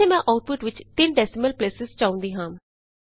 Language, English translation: Punjabi, Suppose here I want an output with three decimal places